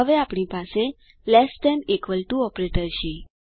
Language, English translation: Gujarati, we now have the equal to operator